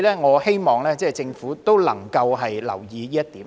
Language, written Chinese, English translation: Cantonese, 我希望政府能夠留意這點。, I hope the Government can pay attention to this point